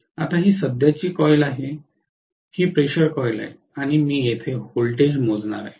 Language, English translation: Marathi, Now this is the current coil, this is the pressure coil and I am going to measure the voltage here